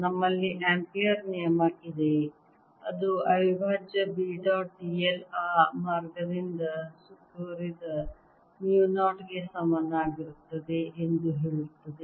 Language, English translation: Kannada, we have ampere's law that says integral b dot d l is equal to mu, not i, enclosed by that path